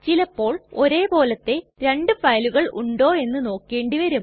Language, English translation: Malayalam, Sometimes we need to check whether two files are same